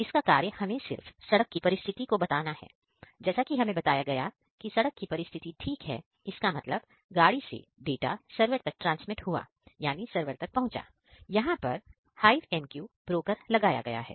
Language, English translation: Hindi, So, it simply shows road condition is smooth; that means, from these car the data is transmitted into the server here the HiveMQ broker is installed